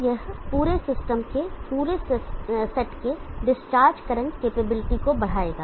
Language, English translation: Hindi, So this will increase the discharge current capability of the whole set of the whole system